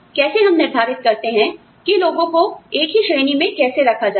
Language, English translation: Hindi, How do we decide, you know, how to group people, into the same category